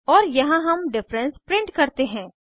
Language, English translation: Hindi, And here we print the difference